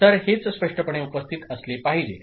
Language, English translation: Marathi, So, this is what should be present clear